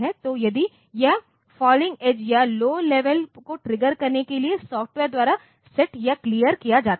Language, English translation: Hindi, So, if it is it is set or cleared by software to specify the falling edge or low level triggered